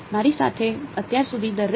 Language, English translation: Gujarati, Everyone with me so far